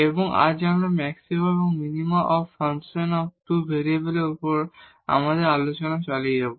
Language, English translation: Bengali, And, today we will continue our discussion on Maxima and Minima of Functions of Two Variables